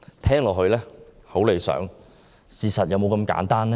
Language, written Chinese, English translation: Cantonese, 聽起來很理想，但事實是否那麼簡單？, It sounds ideal but is it really so simple?